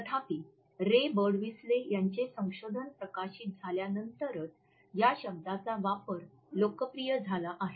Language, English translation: Marathi, However, the usage of the term became popular only after the research of Professor Ray Birdwhistell was published